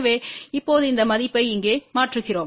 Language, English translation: Tamil, So, now, we substitute this value over here